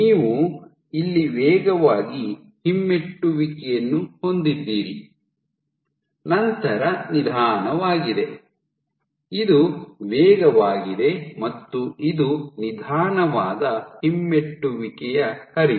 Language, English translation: Kannada, So, you had fast retrograde flow here followed by, slow, this is fast this is slow retrograde flow